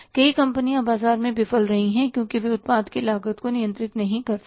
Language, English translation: Hindi, Many companies have failed in the market because they couldn't control the cost of their product